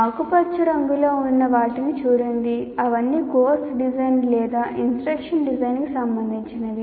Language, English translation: Telugu, So, if you look at these things in green color, they are all related to course design or what we call instruction design